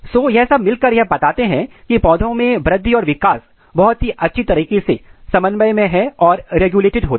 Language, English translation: Hindi, So, these all together suggest that the growth and development in plants are highly coordinated and highly regulated